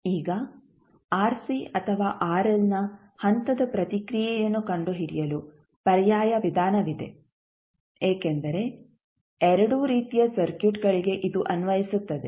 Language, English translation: Kannada, Now, there is an alternate method also for finding the step response of either RC or rl because it is applicable to both of the types of circuits